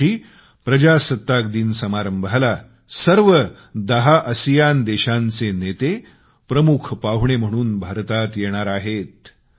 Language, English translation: Marathi, The Republic Day will be celebrated with leaders of all ten ASEAN countries coming to India as Chief Guests